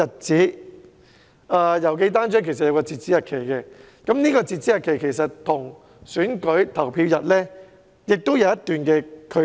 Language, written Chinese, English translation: Cantonese, 此外，郵寄單張有截止日期，這個日期其實跟選舉投票日有一段距離。, Moreover the deadline for posting the pamphlets is set at an earlier date before the polling day